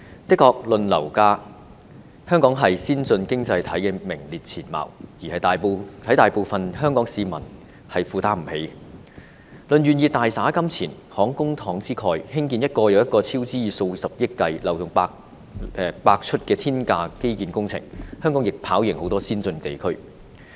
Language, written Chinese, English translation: Cantonese, 誠然，論樓價，香港在先進經濟體中名列前茅，而且也是大部分香港市民無法負擔的；論願意大灑金錢，慷公帑之慨，興建一個又一個超支數以十億元計、漏洞百出的天價基建工程，香港亦跑贏很多先進地區。, Truly enough when it comes to property prices Hong Kong is among the top of the list of advanced economies and they are beyond the affordability of most Hong Kong citizens . When it comes to the will to spend colossal sums of money at the expense of public coffers on developing extremely pricey infrastructure projects one after another that incurred overruns in billions of dollars and are riddled with defects Hong Kong has also outperformed many advanced regions or territories